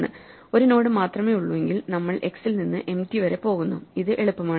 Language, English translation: Malayalam, Then if there is only 1 node, then we are going from x to empty, this is easy